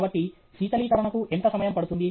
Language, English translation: Telugu, So, how much time it takes for cooling